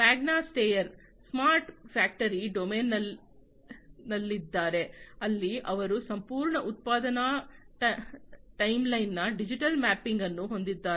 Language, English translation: Kannada, Magna Steyr is in the smart factory domain, where they have digital mapping of entire production timeline